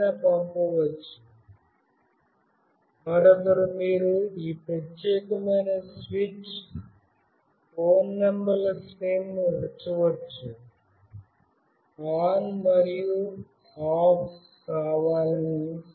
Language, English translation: Telugu, One anybody can send, another you can put series of phone numbers from whom you want this particular switch ON and OFF to happen